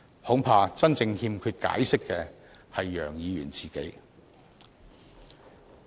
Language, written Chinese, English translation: Cantonese, 恐怕真正欠缺解釋的是楊議員自己。, I am afraid Mr YEUNG himself is the one who truly owes others an explanation